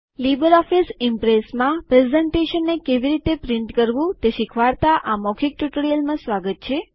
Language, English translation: Gujarati, Welcome to this spoken tutorial of LibreOffice Impress Printing a Presentation